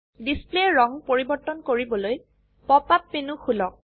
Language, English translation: Assamese, To change the color of display, open the Pop up menu